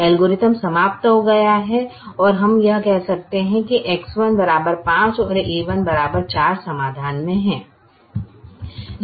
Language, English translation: Hindi, the algorithm terminates and we could say that x, one equal to five, a one equal to four is the solution